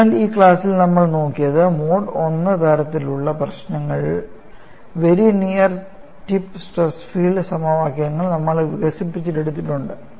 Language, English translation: Malayalam, So, in this class, what we have looked at was, we have developed the very near tip stress field equations in Mode 1 type of problems